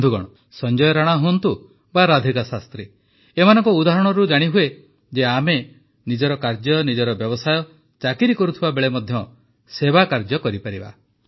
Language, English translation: Odia, Friends, whether it is Sanjay ji or Radhika ji, their examples demonstrate that we can render service while doing our routine work, our business or job